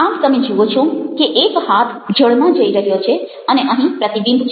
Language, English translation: Gujarati, so you find that one harm is going down into the water and here is the reflection